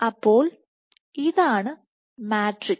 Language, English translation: Malayalam, So, this is the matrix